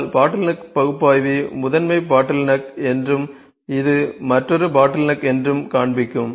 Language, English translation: Tamil, But bottleneck analyser is also that will show this is the primary bottle neck, this is another bottleneck